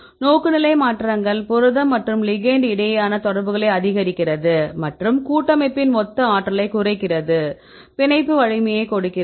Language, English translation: Tamil, The orientation changes which maximizes the interaction between the protein and the ligand and minimize the total energy of the complex, this case it is it gives a strength of binding right